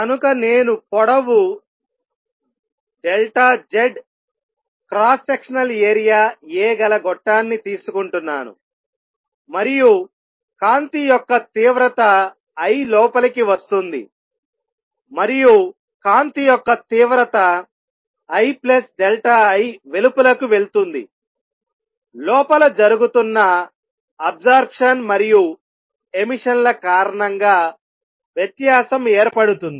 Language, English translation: Telugu, So, I am taking this tube of length delta Z cross sectional area a and light of intensity I is coming in and light of intensity I plus delta I goes out, and the difference arises from the absorption and emission taking place inside